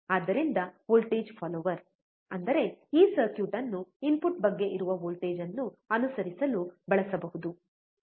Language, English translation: Kannada, So, voltage follower; that means, this circuit can be used to follow the voltage which is about the input, right